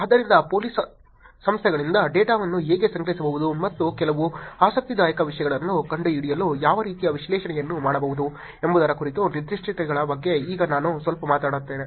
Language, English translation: Kannada, So, let me now talk a little bit about the specifics of how the data from police organizations can be collected, and what kind of analysis can be done to find out some interesting things